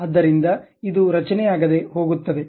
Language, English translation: Kannada, So, it goes unconstructed